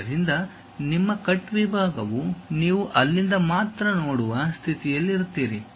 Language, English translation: Kannada, So, your cut section you will be in a position to see only from there